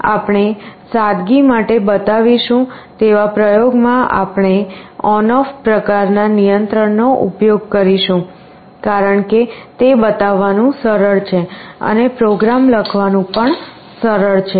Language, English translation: Gujarati, In the experiments that we shall be showing for simplicity, we shall be using on off kind of control, because it is easier to show and also easier to write the program